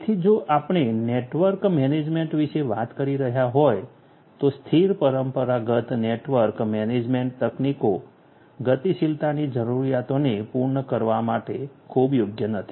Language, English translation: Gujarati, So, if we are talking about network management static traditional network management techniques are not very suitable to cater to the requirements of dynamism